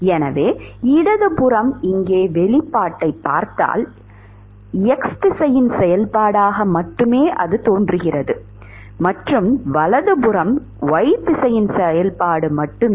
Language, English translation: Tamil, So, the left hand side if you look at the expression here the left hand side is only a function of x direction and the right hand side is only a function of y direction